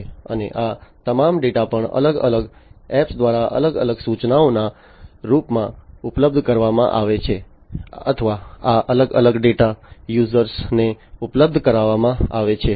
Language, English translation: Gujarati, And all these data are also made available through different apps in the form of different instructions or these different data are made available to the users